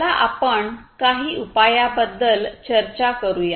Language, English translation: Marathi, So, let us talk about some of the solutions